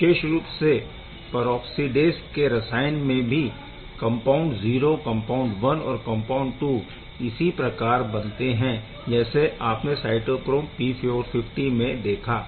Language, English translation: Hindi, It has in particular for peroxidase chemistry it has compound 0, compound 1 and compound 2 which is exactly same as what we have seen in cytochrome P450